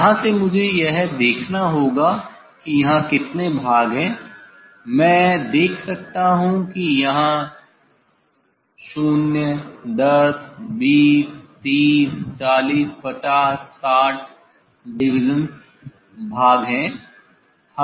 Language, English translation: Hindi, from here I have to see how many divisions there are I can see 0 10 20 30 40 50 60, 60 divisions are there